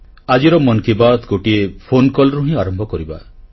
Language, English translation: Odia, Let us begin today's Mann Ki Baat with a phone call